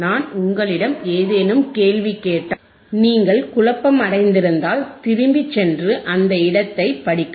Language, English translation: Tamil, that iIf I ask you any question, if you wareere confused, you to go back and read somewhere all right;